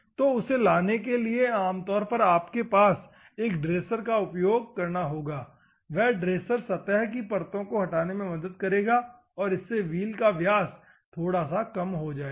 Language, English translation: Hindi, So, to bring that one normally you will have a dresser; that dresser will help in order to remove the surface layers, and the diameter slightly reduces